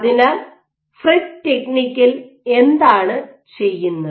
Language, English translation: Malayalam, So, now, what do you do in this FRET technique